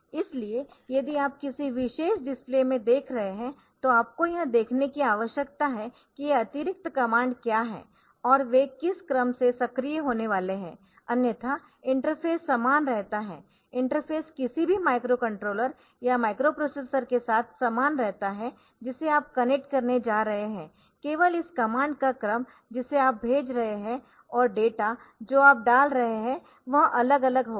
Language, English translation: Hindi, So, what you need to see is that what are this extra commands and what is the sequence in which they are to be activated, otherwise the interface remains same, interface remains same with any microcontroller or microprocessor you are going to connect it so, only the sequence of this command that you are sending and data that you are putting so that will be varying